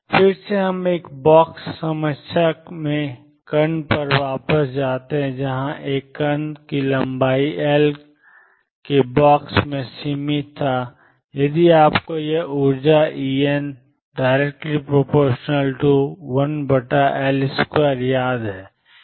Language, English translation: Hindi, Again we go back to particle in a box problem, where a particle was confined in a box of length L and if you recall this energy en was proportional to 1 over L square